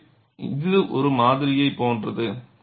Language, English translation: Tamil, So, this is like a sample